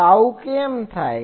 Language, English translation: Gujarati, So, why this happens